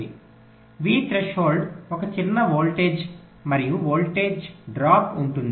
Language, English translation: Telugu, v threshold is a small voltage and there will be a voltage drop